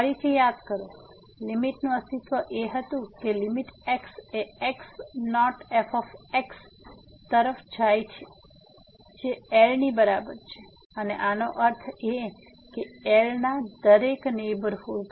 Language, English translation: Gujarati, Recall again, the existence of the limit was that limit goes to naught is equal to and this means that every neighborhood of